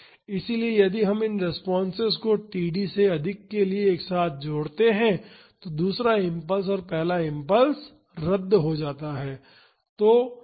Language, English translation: Hindi, So, if we add these together for t greater than td these responses the second impulse and the first impulse get cancelled out